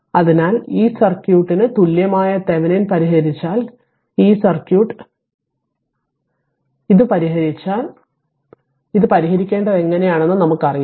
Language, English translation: Malayalam, So, if you solve the Thevenin equivalent this circuit, if you solve this if you solve this circuit right you solve it because now you know how to solve it right